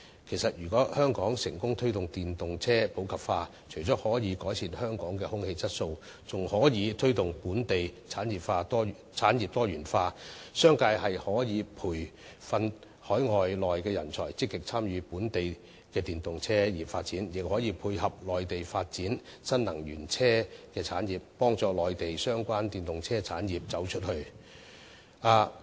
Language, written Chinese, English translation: Cantonese, 其實，如果香港成功推動電動車普及化，除了可改善香港的空氣質素外，更可以推動本地產業多元化，商界可以培訓海內外的人才，積極參與本地電動車產業發展，亦可配合內地發展新能源車產業，幫助內地相關電動車產業"走出去"。, In fact if Hong Kong can successfully promote the popularization of EVs it can improve our air quality and also facilitate the diversification of local industries . The business sector can train local and overseas talents to actively participate in the development of the electric automobile industry . It can also complement the development of new - energy vehicle industries in the Mainland and help these Mainland EV industries to go global